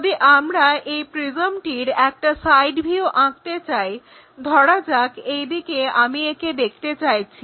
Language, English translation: Bengali, If I would like to draw a side view of that prism for example, from this direction I would like to visualize